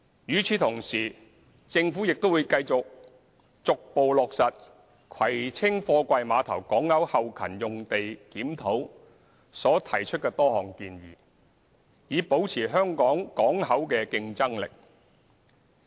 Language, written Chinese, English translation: Cantonese, 與此同時，政府會繼續逐步落實葵青貨櫃碼頭港口後勤用地檢討所提出的多項建議，以保持香港港口的競爭力。, In the meantime the Government will continue to gradually implement the recommendations made in the review of the back - up land of the Kwai Tsing Container Terminals to maintain the competitiveness of Hong Kong ports